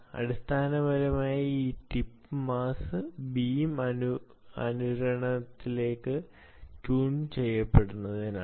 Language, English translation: Malayalam, basically it is to tune the beam to resonance